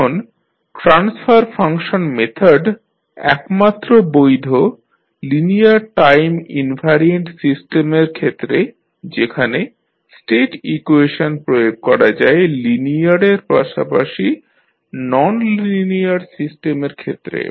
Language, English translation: Bengali, Now, transfer function method is valid only for linear time invariant systems whereas State equations can be applied to linear as well as nonlinear system